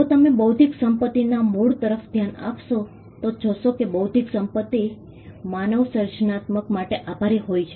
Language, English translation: Gujarati, If you look at the origin of intellectual property, we will find that intellectual property can be attributed to human creativity itself